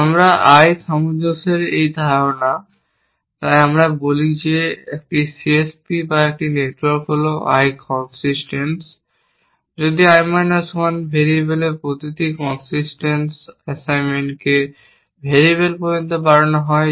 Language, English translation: Bengali, We are, this notion of I consistency, so we say that a C S P or a network is I consistence, if every consistence assignment to I minus 1 variables can be extended to I variable which means that, if we have found values for I minus for 1 variables any I minus variables